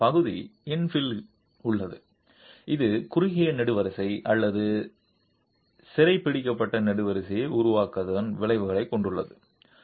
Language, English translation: Tamil, Again the partial infill has also the effect of creating a short column or a captive column